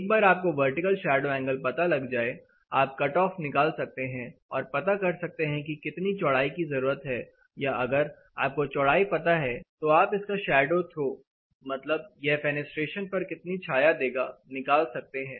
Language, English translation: Hindi, Once you know the vertical shadow angle you can determine the cut off and how much width is required or alternatively if you know the width you can find out what is a shadow throw how much shadow it is going to throw on a particular fenestration